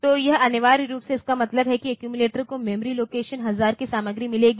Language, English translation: Hindi, So, it essentially means that accumulator will get the content of memory location 1000